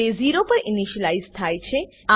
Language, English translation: Gujarati, It is initialized to 0